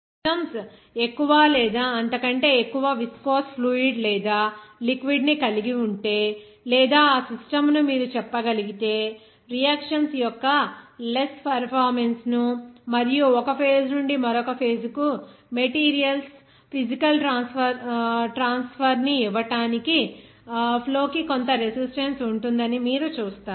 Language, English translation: Telugu, If systems will have more or higher viscous fluid or liquid or you can say that system inside that you will see that there will be some resistance to flow or that resistance to give you less performance of the reactions as well as the physical transfer of the materials from one phase to another phase